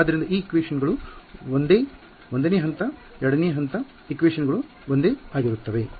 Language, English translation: Kannada, So, the equations are the same step 1 step 2 the equations are the same